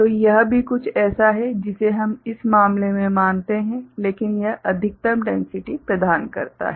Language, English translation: Hindi, So, that is also something which we consider in this case, but it provides the maximum density